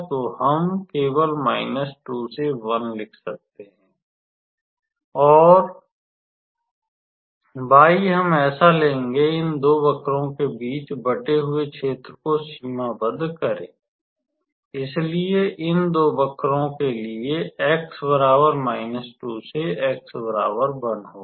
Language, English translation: Hindi, So, we can write simply minus 2 to 1 and y we can write so, y the area bounded between these two curves; so for these two curves x is varying from minus 2 to 1 alright